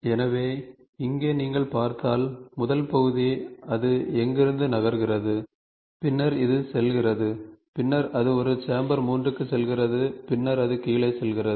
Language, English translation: Tamil, So, here if you see, first part, it moves from here, this is first then, this goes and then it goes for a chamfer 3 and then it goes it goes it goes for a chamfer then it goes down